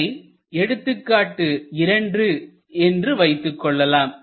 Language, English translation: Tamil, So, take an example 2